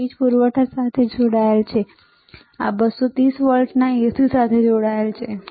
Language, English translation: Gujarati, This is connected to the power supply, this is connected to the 230 volts AC, all right